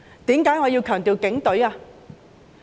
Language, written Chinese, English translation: Cantonese, 為何我要強調是警隊呢？, Why do I have to emphasize the Police Force?